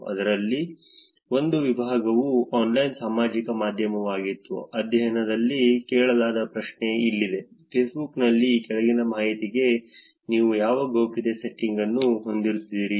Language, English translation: Kannada, One section in that was online social media, here is a question that was asked in the study, the question reads, what privacy settings do you have for the following information on Facebook